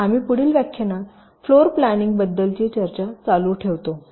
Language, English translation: Marathi, so we continuing with our discussion on floor planning in the next lecture